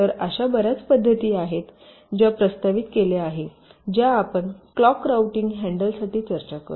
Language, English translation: Marathi, ok, so there are many methods which have been propose, which we shall discussing, to handle clocked routing